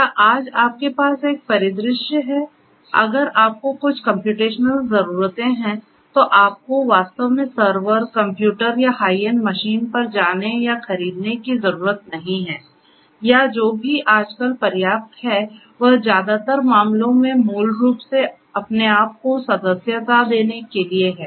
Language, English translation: Hindi, Is you have a scenario at present you know today you do not really if you have some computational needs you really do not need to go and buy a server, a computer or a high end machine or whatever it is sufficient nowadays in most of the cases to basically you know subscribe yourself to some of these online computational resources and try to use them